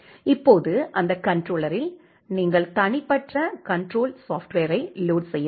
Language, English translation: Tamil, Now in that controller you have to load individual controller software